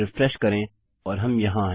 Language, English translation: Hindi, Refresh and there we are